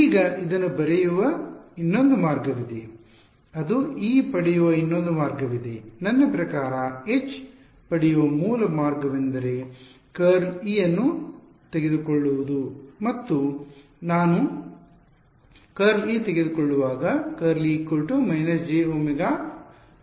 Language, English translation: Kannada, Now there is another way of writing this which is another way of getting E, I mean the original way of getting H was what take curl of E right and when I take curl of E, I should get minus j omega mu H right